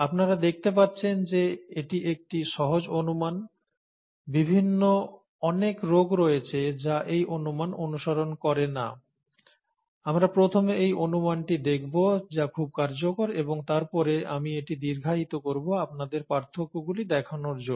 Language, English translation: Bengali, And as you can see, this is a simple approximation, there are various different diseases that do not follow this approximation, we will first look at this approximation which is very useful and then I will extend that to show you the differences